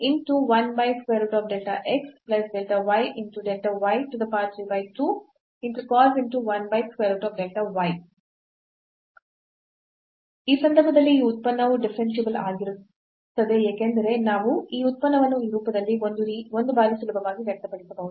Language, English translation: Kannada, So, in that case this function is differentiable because we can easily express this function in this form a times